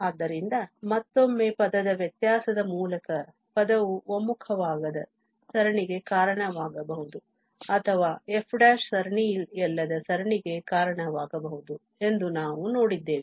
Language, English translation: Kannada, So, again we have seen that this term by term differentiation may lead to a series which does not converge or it may lead to a series which is not the series of f prime